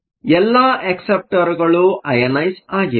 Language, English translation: Kannada, So, all the acceptors are ionized